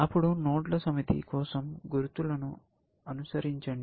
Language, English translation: Telugu, Then, follow the markers to a set of nodes